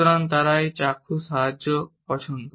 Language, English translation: Bengali, So, they like a visual aid